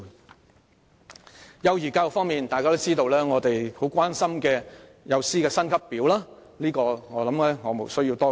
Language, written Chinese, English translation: Cantonese, 在幼兒教育方面，大家也知道我們很關注幼師薪級表，相信無須多說。, In respect of early childhood education Members all know that we are very concerned about the pay scale for kindergarten teachers and I think I need not do any more explaining